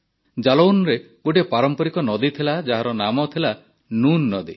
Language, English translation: Odia, There was a traditional river in Jalaun Noon River